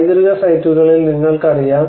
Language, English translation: Malayalam, You know on the heritage sites